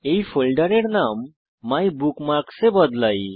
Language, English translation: Bengali, * Rename this folder MyBookmarks